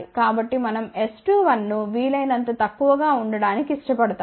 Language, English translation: Telugu, So, we would prefer S 2 1 to be as small as possible